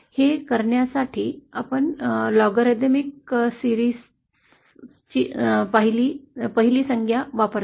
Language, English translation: Marathi, We use the first term of the logarithmic series